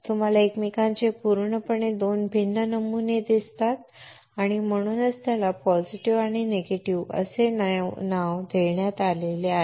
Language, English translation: Marathi, You see absolutely two different patterns of each other and that is why it is named positive and negative